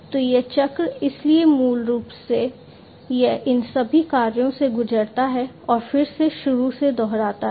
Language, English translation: Hindi, So, this cycle so basically it goes through this side these all these tasks and again repeat from the start